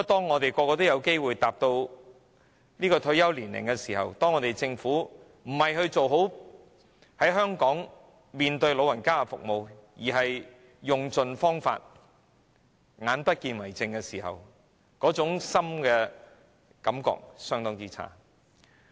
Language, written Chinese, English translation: Cantonese, 我們每個人也有機會踏入退休年齡，當看到政府不是做好在香港為長者提供的服務，而是用盡方法對長者"眼不見為淨"的時候，那種感覺是相當差的。, Every one of us has a chance to reach retirement age . I really feel miserable when seeing that the Government is trying every means to rid itself of the elderly people rather than providing better services for them in Hong Kong